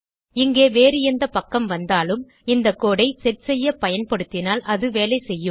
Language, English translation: Tamil, If this is any other page over here and you use this code to set, it will work